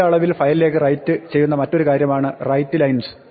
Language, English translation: Malayalam, The other thing which writes in bulk to a file is called writelines